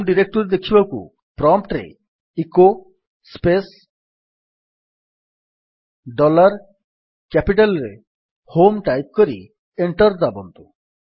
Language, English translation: Odia, To see the home directory type at the prompt: echo space dollar HOME in capital and press Enter